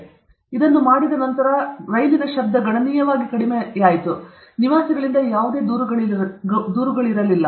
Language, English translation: Kannada, Once they did it, the noise considerably reduced; no complaints from the residents